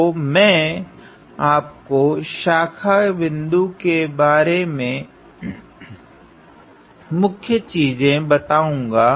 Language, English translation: Hindi, So, I am going to just give you a highlight of what is branch point